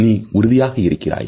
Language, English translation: Tamil, Are you sure